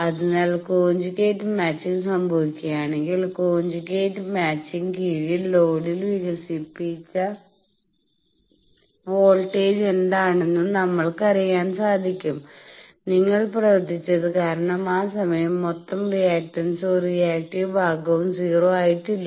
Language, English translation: Malayalam, So, under conjugate match, we know what is the voltage developed at the load, that you worked out because that time no reactive part in the total reactance is 0